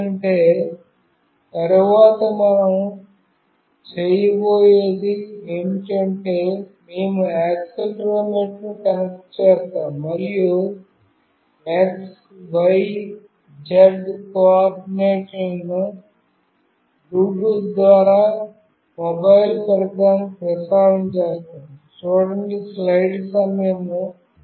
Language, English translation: Telugu, Because later what we will do is that we will connect accelerometer, and will transmit the x, y, z coordinates through Bluetooth to the mobile device